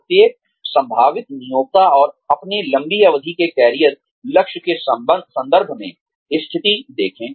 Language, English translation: Hindi, View every potential employer, and position in terms of, your long range career goal